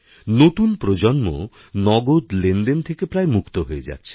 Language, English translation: Bengali, The new generation is more or less freeing itself from the shackles of cash